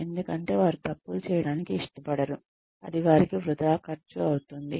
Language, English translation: Telugu, Because, they do not want to make mistakes, that are going to cost them money